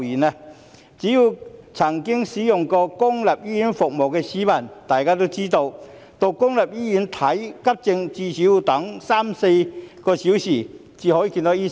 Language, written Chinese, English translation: Cantonese, 只要曾經使用過公立醫院服務的市民都知道，到公立醫院看急症，最少要等候三四小時，才可以見到醫生。, Anyone who has ever used public hospital services knows that when you go to a public hospital for emergency treatment you have to wait at least three to four hours before you can see a doctor